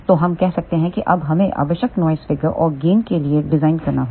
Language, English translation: Hindi, So, let us say now we have to design for required noise figure and gain